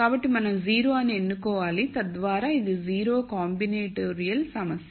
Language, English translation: Telugu, So, we have to make a choice as to which is 0 so that makes this a combinatorial problem